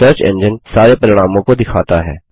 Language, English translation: Hindi, The search engine brings up all the results